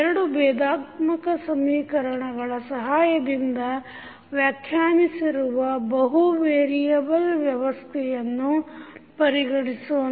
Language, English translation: Kannada, Consider a multivariable system which is described with the help of these two differential equations